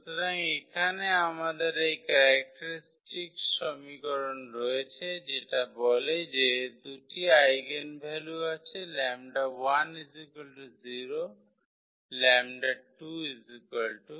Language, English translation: Bengali, So, here we have this characteristic equation which tells that there are 2 eigenvalues lambda is equal to 0 and lambda is equal to 3